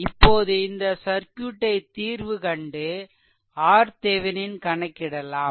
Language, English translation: Tamil, Then you find out what is the equivalent resistance R Thevenin